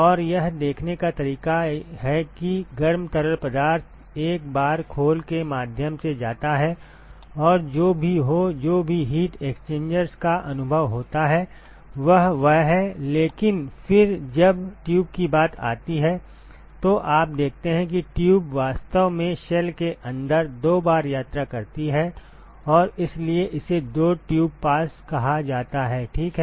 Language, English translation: Hindi, And the way to see that is the hot fluid goes through the shell once and whatever it; whatever heat exchangers it experiences that is it, but then when it comes to the tube you see that the tube actually travels twice inside the inside the shell and that is why it is called the two tube passes ok